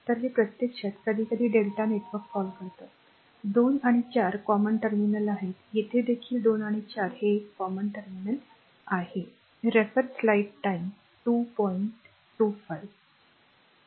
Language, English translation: Marathi, So, this is actually this is sometimes we call delta network here also 2 and 4 are common terminal here also this 2 and 4 this is a common terminal